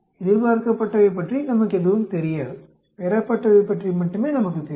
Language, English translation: Tamil, We do not know anything about the expected, we know only about what is observed